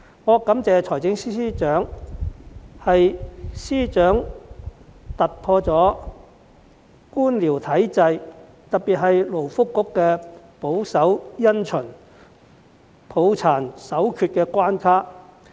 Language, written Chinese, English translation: Cantonese, 我感謝司長，是因為司長突破了官僚體制，特別是勞工及福利局保守因循、抱殘守缺的關卡。, I am grateful to FS because he has broken through bureaucracy especially the barriers posed by the conservatism and rigidity of the Labour and Welfare Bureau